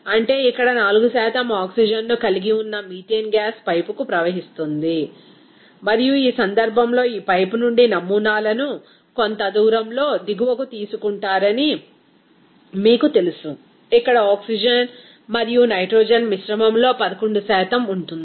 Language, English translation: Telugu, That means here methane gas containing 4% of oxygen that will be flowing to the pipe, and in this case, you know that the samples is taken out from this pipe at a certain distance downstream where the oxygen and nitrogen mixture will contain 11% there